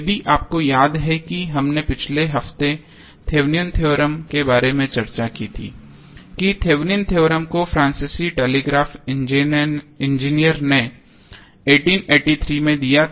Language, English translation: Hindi, Norton's Theorem if you remember what we discussed in the last week about the Thevenin's theorem that Thevenin theorem was given by French telegraph Engineer in 1883 then around 43 years after in 1926 the another American Engineer called E